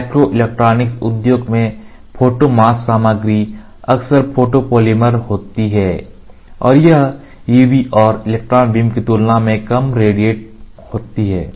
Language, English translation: Hindi, In the microelectronic industry photo mask material are often photopolymers and are relatively irradiated using far UV and electron beam